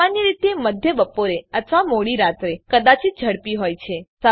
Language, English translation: Gujarati, Typically mid afternoon or late night may be fast